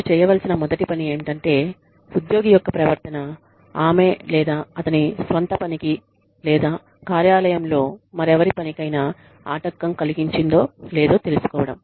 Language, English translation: Telugu, The first thing, you should do is, find out, if the employee's behavior has been disruptive, to her or his own work, or to anyone else's work, in the workplace